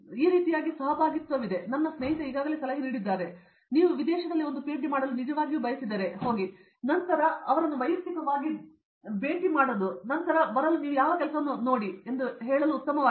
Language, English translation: Kannada, In this way there is a lot of collaboration and as my friend has already suggested, if you really want to do a PhD abroad, it is better to go and then meet them in person and then ask them to come and see what work you have exactly done